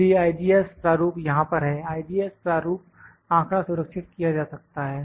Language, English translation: Hindi, So, IGES format is there, IGES format data can be stored